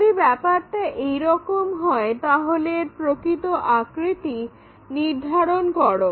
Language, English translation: Bengali, If that is the case, determine its true shape